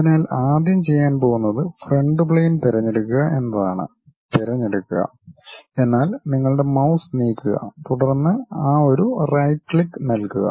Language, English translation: Malayalam, So, first thing what we are going to do is pick the front plane; pick means just move your mouse, then give a right click of that button